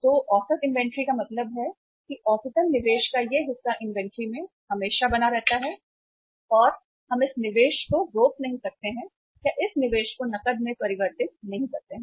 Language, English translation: Hindi, So average inventory means on an average this much of investment always remain remains in the inventory and we are not able to to liquidate this investment or convert this investment into cash